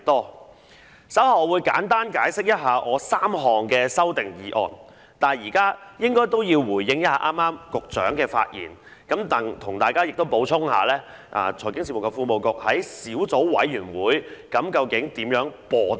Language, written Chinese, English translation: Cantonese, 我稍後會簡單解釋我的3項修訂議案，但現在先回應一下局長剛才的發言，亦向大家補充一下財經事務及庫務局在小組委員會如何"播帶"。, I will briefly explain my three amending motions later on but first I would like to respond to the Secretarys speech just now and illustrate how the Financial Services and the Treasury Bureau spoke like a tape - recorder in the Subcommittee